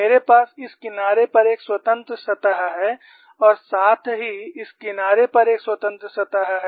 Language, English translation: Hindi, 2; I have one free surface on this side; I have another free surface on this side